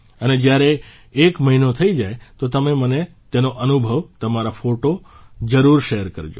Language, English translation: Gujarati, And when one month is over, please share your experiences and your photos with me